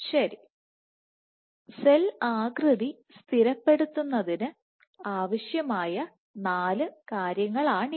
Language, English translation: Malayalam, So, these are the four things which are required for stabilizing cell shape